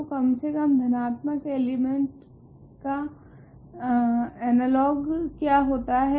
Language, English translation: Hindi, So, what would be the analogue of least positive element